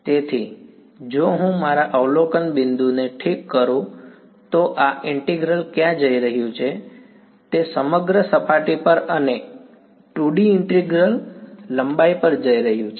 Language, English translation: Gujarati, So, if I fix my observation point where is this integral going; it is going over the entire surface and length 2D integral fine